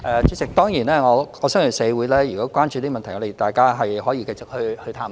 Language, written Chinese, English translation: Cantonese, 主席，如果社會關注這問題，大家是可以繼續探討的。, President if the community is concerned about this issue we may continue to explore it